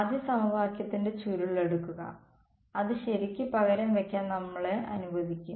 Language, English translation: Malayalam, Take curl of first equation and then that will allow us to substitute right